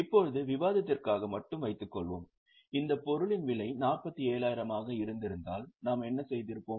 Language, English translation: Tamil, Now suppose just for discussion if the cost of this item would have been 40,000, what we would have done